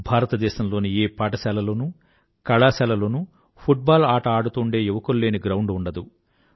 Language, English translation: Telugu, There should not be a single schoolcollege ground in India where we will not see our youngsters at play